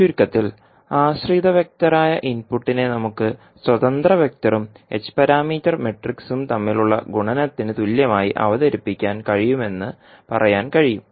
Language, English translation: Malayalam, So in summary we can say that we can be present it like a input the dependent vector is equal to h parameter matrix multiplied by independent vector